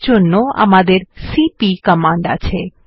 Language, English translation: Bengali, For this we have the cp command